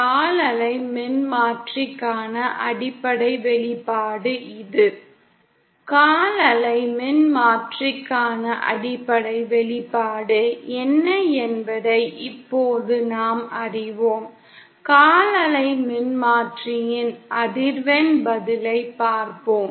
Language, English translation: Tamil, And now that we know what is the basic expression for a quarter wave transformer; let us sees the frequency response of a quarter wave transformer